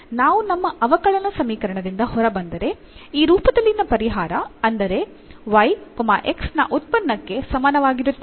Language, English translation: Kannada, So, if we get out of our differential equation are the solution in this form that y is equal to function of x